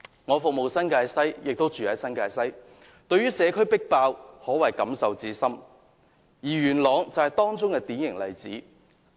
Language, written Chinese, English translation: Cantonese, 我服務新界西，亦居於新界西，對於社區爆滿可謂感受甚深，而元朗更是典型例子。, Since I serve and live in the New Territories West I do have very strong feeling about the overcrowded community and Yuen Long is a typical example